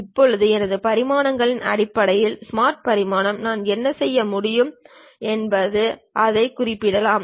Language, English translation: Tamil, Now, based on my dimensions Smart Dimension, what I can do is I can use that maybe specify that